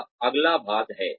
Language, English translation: Hindi, That is the next part